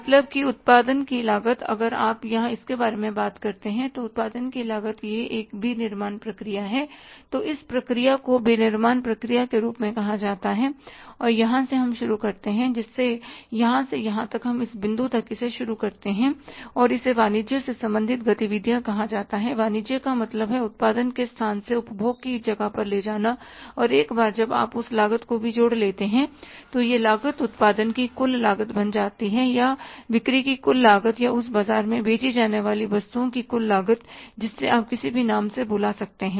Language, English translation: Hindi, Selling and distribution overheads are all marketing overheads, distribution overheads, transportation expenses, insurance expenses, all these expenses which are incurred for taking the product means till the cost of production if you talk about here that till the cost of production it is the manufacturing process this process is called as manufacturing process right and from here we start something which is called as from this to this then we start up to this point it is called as the commerce related activities commerce is means taking the place of product from the place of production to the place of consumption and once you add up that cost also then this cost becomes the total cost of the production or the total cost of the sales or total cost of the goods to be sold in the market you call it at any name